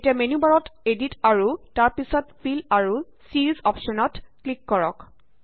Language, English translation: Assamese, Now click on the Edit in the menu bar and then on Fill and Series option